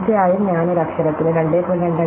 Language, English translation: Malayalam, Of course, I do not use 2